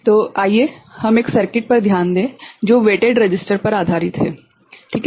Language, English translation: Hindi, So, let us look into one circuit which is based on weighted resistor right